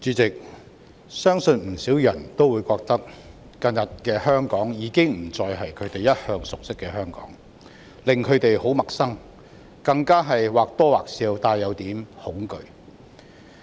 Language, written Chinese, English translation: Cantonese, 主席，相信不少人會覺得，近日的香港已經不再是他們一向熟悉的香港，不僅令他們感到很陌生，更或多或少帶點恐懼。, President I believe many people would find that Hong Kong has become an unfamiliar place in recent days . Not only do they find Hong Kong rather distant they also have a tinge of fear